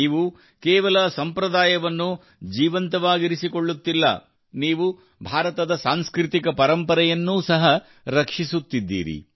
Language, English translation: Kannada, You are not only keeping alive a tradition, but are also protecting the cultural heritage of India